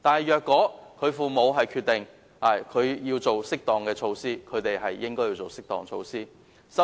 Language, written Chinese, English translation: Cantonese, 如果父母決定採取適當措施，便可採取適當措施。, If parents decide to take actions which they deem to be appropriate they may proceed to do so